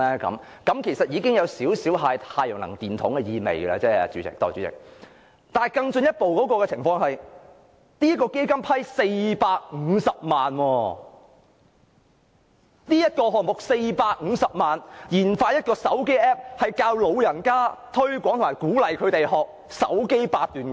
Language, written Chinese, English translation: Cantonese, 這其實已有少許"太陽能電筒"的意味，代理主席，但更進一步的情況是，這項目獲創科基金撥款450萬元，研發一個智能手機 App， 教導、推廣及鼓勵長者學習"手機八段錦"。, This indeed has some resemblance of a solar energy flashlight . Deputy Chairman what is more is that this project has obtained a grant of 4.5 million from the FBL to develop a smartphone app in order to teach and encourage the elderly to practice cell phone Baduanjin